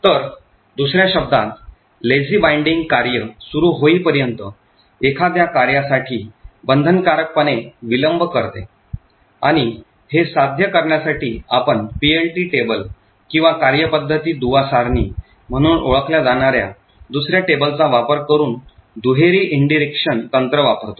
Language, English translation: Marathi, So in other words Lazy binding essentially delays binding for a function until the function is invoked and in order to achieve this we use a double indirection technique by making use of another table known as the PLT table or Procedure Linkage Table